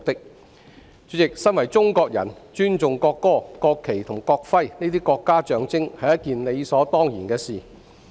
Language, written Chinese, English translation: Cantonese, 代理主席，身為中國人，尊重國歌、國旗及國徽這些國家象徵是理所當然的事。, Deputy Chairman it is a matter of course for us Chinese to respect the national anthem national flag and national emblem as they are symbols of our country